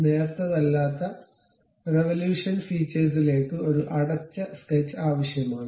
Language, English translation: Malayalam, A non thin revolution feature requires a closed sketch